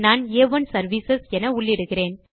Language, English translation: Tamil, I will type A1 services